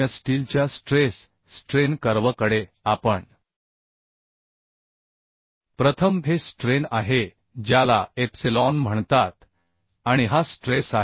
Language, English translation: Marathi, So stress strain curve of the mild steel we will see first say this is strain which is called epsilon, and this is stress which is called sigma